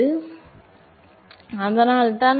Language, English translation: Tamil, So, that is why